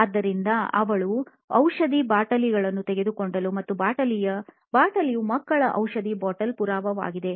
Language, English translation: Kannada, So, she took the bottle of medicine and this bottle of medicine is child proof